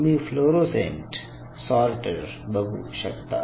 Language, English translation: Marathi, So, this is your fluorescent sorter